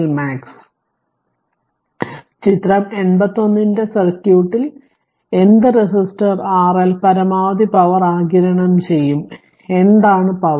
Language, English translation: Malayalam, So, in the circuit of figure 81 what resistor R L will absorb maximum power and what is the power